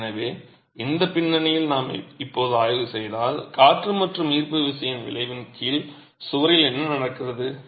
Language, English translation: Tamil, So, with this background, if we now examine what might be happening to the wall under the effect of wind and gravity in the first situation